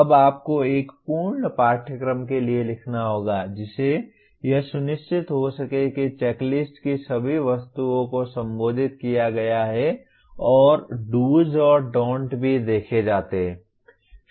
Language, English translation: Hindi, Now you have to write for a complete course making sure that all the items in the checklist are addressed to and do’s and don’ts are also observed